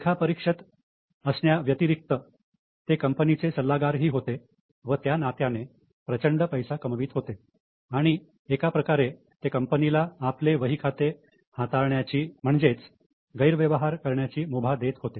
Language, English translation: Marathi, Apart from being auditors, they were also consultants and making huge amount of money and in a way allowing the company to manipulate their accounts